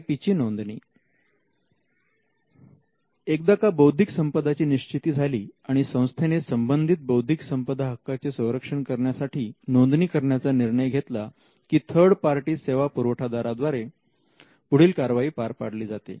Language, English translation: Marathi, Registration of IP: once the IP is identified and the institute takes a call to file intellectual property protection for it, then it has to be done usually it is done by teaming up with third party service providers